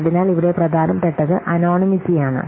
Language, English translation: Malayalam, So, here the important is anonymity